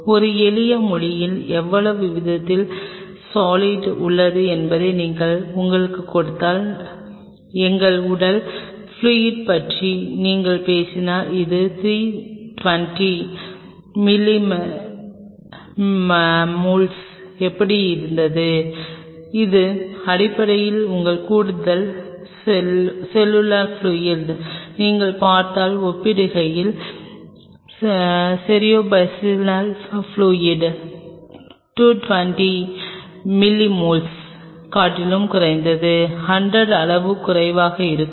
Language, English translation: Tamil, If you give you how much proportion in a simplest language how much proportion of solute is present there, and if you talk about our body fluid it how was around 320 milliosmoles, that is essentially your extra cellular fluid as compare to if you look at your cerebrospinal fluid which is at least 100 magnitude lesser than that it is around 220 milliosmoles